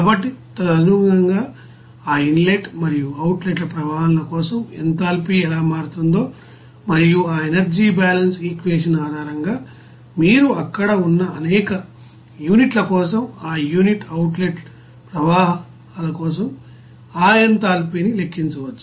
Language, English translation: Telugu, So accordingly how enthalpy would be changing for that inlet and outlet streams and based on that energy balance equation, you can calculate that in therapy for that inlet outlet streams for the several units there